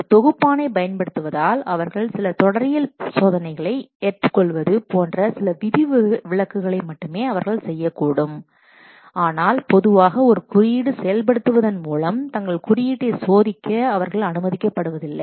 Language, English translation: Tamil, They may do only some exceptions like the accepting doing some syntax testing they may do using a compiler but normally they are not allowed to what test their code by code execution